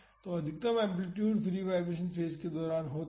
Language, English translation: Hindi, So, the maximum amplitude is during the free vibration phase